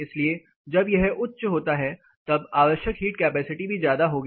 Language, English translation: Hindi, So, when this is high the heat capacity requires going to be high